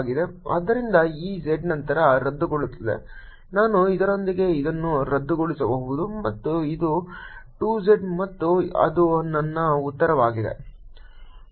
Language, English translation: Kannada, i can cancel this with this, and this is two z and that is my answer